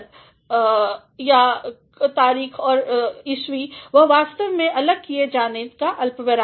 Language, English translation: Hindi, So, September 9 and 2019 they are actually to be separated by a comma